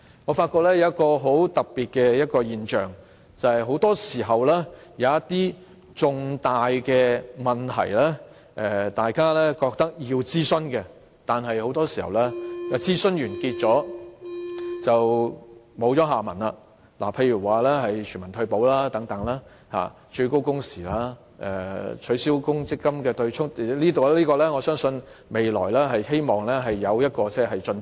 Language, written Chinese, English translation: Cantonese, 我發覺有一個很特別的現象，便是一些大家認為要進行諮詢的重大問題，很多時候在諮詢完結便沒了下文，例如全民退休保障、最高工時、取消強積金對沖——我希望未來會就此課題取得進展。, But then I noticed a very special phenomenon and that is for major issues on which we all agreed that consultation should be conducted they often came to a dead end upon completion of consultation such as universal retirement protection maximum working hours abolition of the offsetting mechanism of the Mandatory Provident Fund MPF System―I hope that progress will be made in this respect in future